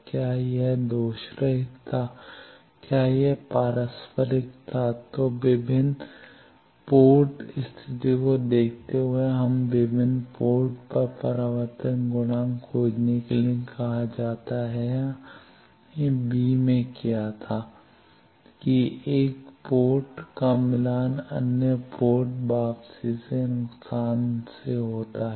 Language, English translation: Hindi, Whether it was lossless, whether it was reciprocal then given various port conditions we are asked to find reflection coefficients at various ports that we have done in b it was that 1 port is match terminated the other port return loss